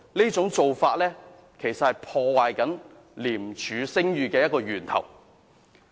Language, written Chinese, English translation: Cantonese, 這種做法其實是破壞廉署聲譽的源頭。, This is actually a source of reputational damage to ICAC